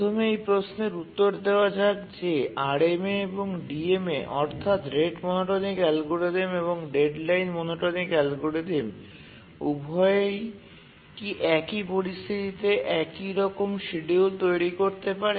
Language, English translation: Bengali, First let's answer this question that do RMA and the DMA, rate monotonic algorithm and the deadline monotonic algorithm, both of them do they produce identical schedule under some situations